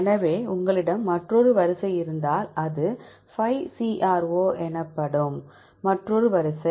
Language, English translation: Tamil, So, if you have another sequence this is another sequence called 5CRO